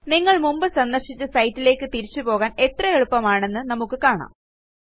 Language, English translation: Malayalam, See how easy it is to go back to a site that you visited before